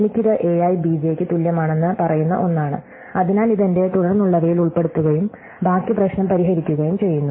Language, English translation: Malayalam, So, I have this one which says that a i is equal to b j, so I include this in my subsequence and then I solve the rest of the problem